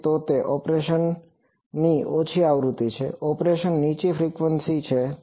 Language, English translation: Gujarati, So, there is a low frequency of operation, there is a high frequency of operation